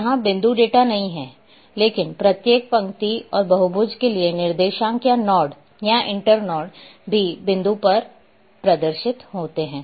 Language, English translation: Hindi, Point data is not there, but the coordinates or nodes or internodes for each line and polygons are also displays at the point